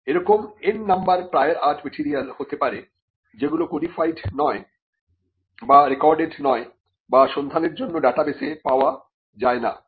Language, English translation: Bengali, There could be n number of prior art material which are not codified or recorded or available on an online database for search